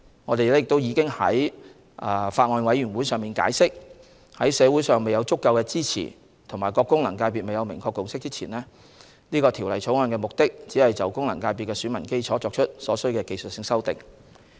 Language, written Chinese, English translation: Cantonese, 我們已於法案委員會上解釋，在社會上未有足夠支持和各功能界別未有明確共識前，《條例草案》的目的只限於在現有的功能界別選民基礎上作出所需的技術性修訂。, We already explained to the Bills Committee that in the absence of adequate support in society and before a clear consensus is reached within the various FCs the purpose of the Bill is limited to making technical amendments to the existing electorate of FCs